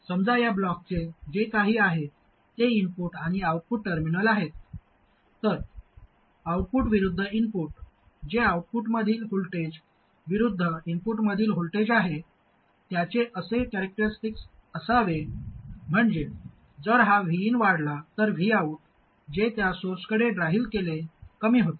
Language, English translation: Marathi, So let's say these are the input and output terminals of this block, whatever that is, then the output versus input, that is the voltage at the output versus voltage at the input, should have a characteristic like this, which means if this V In increases V Out, what is driven to the source should actually decrease